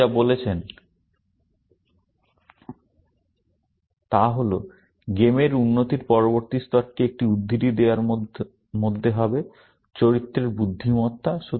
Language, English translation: Bengali, What he says is that the next level of improvement in games will be in giving a quote unquote; intelligence to the characters